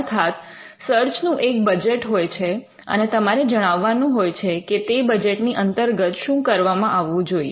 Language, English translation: Gujarati, So, there is a budget for the search, and you will describe within that budget what needs to be done